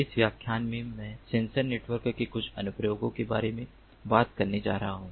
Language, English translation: Hindi, in this lecture i am going to talk about some of the applications of sensor networks